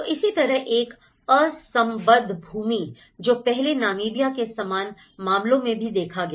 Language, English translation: Hindi, So, similarly, an unsubdivided land, so earlier, it was true in similar cases of Namibia as well